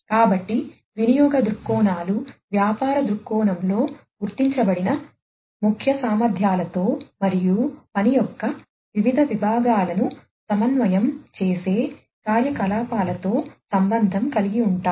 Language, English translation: Telugu, So, usage viewpoints are related with the key capabilities that are identified in the business viewpoint and the activities that coordinate the different units of work